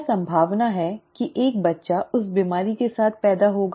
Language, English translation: Hindi, What are the chances that a child will be born with that disease